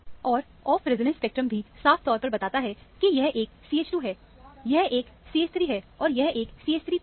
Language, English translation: Hindi, And, off resonance spectrum also very clearly tells us that, this is a CH 2; this is a CH 3 and this is a CH 3 p